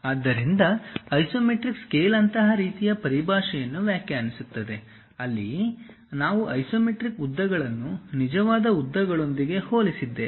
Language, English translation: Kannada, So, this one is true length and this is the isometric length So, isometric scale actually defines such kind of terminology, where we are going to compare isometric lengths with the true lengths